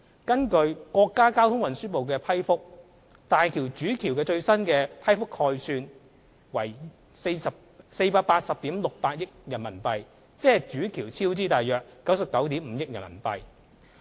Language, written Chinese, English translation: Cantonese, 根據國家交通運輸部的批覆，大橋主橋的最新批覆概算為約480億 6,800 萬元人民幣，即主橋超支約99億 5,000 萬元人民幣。, As approved by the State Ministry of Transport the new project estimate is about RMB48.068 billion . This means that the cost overrun for the construction of the Main Bridge is about RMB9.95 billion